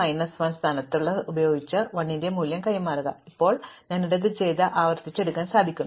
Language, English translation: Malayalam, It is saying exchange the value at position l with the value at position yellow minus 1, now having done this, now I want to recursively sort